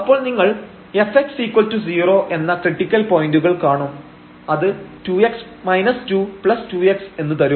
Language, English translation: Malayalam, So, you will find the critical points f x is equal to 0 which will be 2 x and minus 2 plus this 2 x